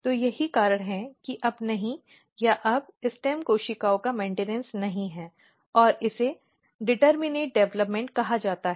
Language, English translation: Hindi, So, that is why there is no longer or there is no longer maintenance of stem cells and this is called determinate development